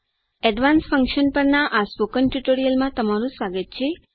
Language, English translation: Gujarati, Welcome to the Spoken Tutorial on Advanced Function